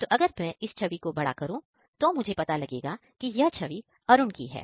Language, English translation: Hindi, So, if I zoom it so, you can see that it has been identified as Arun